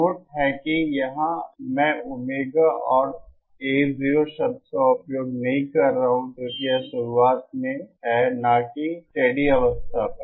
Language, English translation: Hindi, Note that here IÕm not using the terms Omega 0 and A 0 because this is at the start not at the steady state